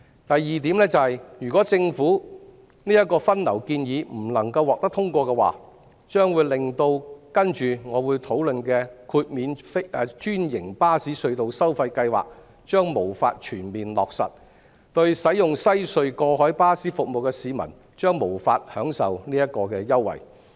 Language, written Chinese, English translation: Cantonese, 第二，如果政府的分流建議不能獲得通過，將會令我接着會討論的豁免專營巴士隧道收費計劃無法全面落實，使用西隧過海巴士服務的市民將無法享受此優惠。, Secondly if the Governments traffic distribution proposal cannot be passed the tunnel toll waiver scheme for franchised buses which I am going to discuss will be unable to be fully implemented and the passengers using WHC tunnel bus service will be unable to enjoy this concession